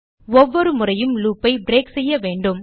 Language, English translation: Tamil, We need to break the loop each time